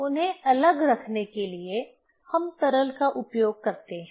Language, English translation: Hindi, To keep them separate we use liquid